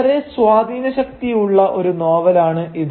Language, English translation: Malayalam, A very influential novel